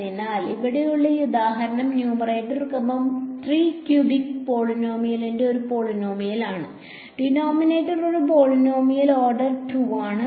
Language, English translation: Malayalam, So, this example over here the numerator is a polynomial of order 3 cubic polynomial, denominator is a polynomial order 2